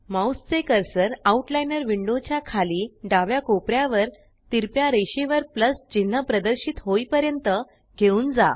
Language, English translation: Marathi, Move your mouse cursor to the hatched lines at the bottom left corner of the right Outliner panel till the Plus sign appears